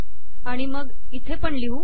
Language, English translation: Marathi, And then we will put it here also